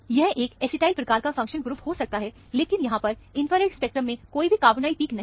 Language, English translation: Hindi, It could have been an acetyl type of functional group, but there are no carbonyl peaks in the infrared spectrum